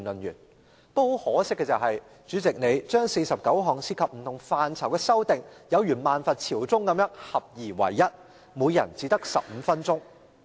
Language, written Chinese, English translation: Cantonese, 不過很可惜，主席把49項涉及不同範疇的修訂建議有如"萬佛朝宗"般合而為一，每人只可發言15分鐘。, Unfortunately the President rolled all 49 amendment proposals involving different areas into one and each Member can speak for 15 minutes only